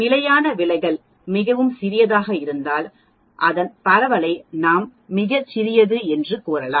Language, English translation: Tamil, If the standard deviation is very small, then we can say the spread of the data with respect the mean is also very small